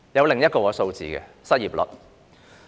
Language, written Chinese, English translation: Cantonese, 另一個數字是失業率。, Unemployment rate is another figure to be discussed